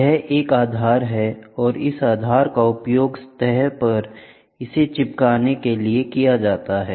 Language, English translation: Hindi, This is a base where this base is used to stick on to the surface